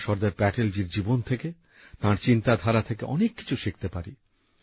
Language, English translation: Bengali, We can learn a lot from the life and thoughts of Sardar Patel